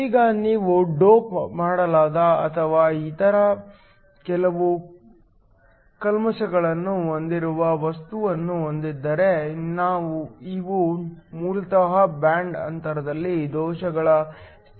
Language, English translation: Kannada, Now, if you have a material that is doped or has some other impurities, these basically cause defects states in the band gap